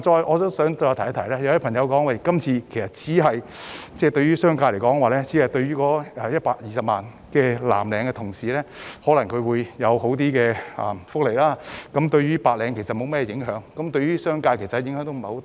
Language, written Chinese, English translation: Cantonese, 我亦想指出，有些人認為這次修例只是為120萬名藍領同事提供較好的福利，對白領無甚影響，所以對商界的影響亦不大。, Another point I want to highlight is some people opine that this legislative amendment exercise merely seeks to improve the welfare of 1.2 million blue - collar workers and will have little impact on white - collar workers and the business sector